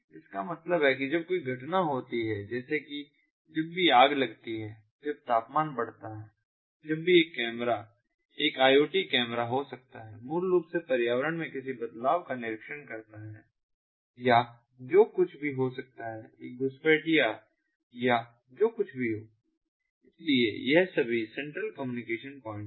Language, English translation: Hindi, so that means whenever there is an event, whenever there is a fire, when the temperature increases, when the, whenever a camera may be an iot ah, camera, ah basically observes some kind of change, ah, ah, in, ah, in the environment or whatever, maybe ah there is an intruder or whatever it is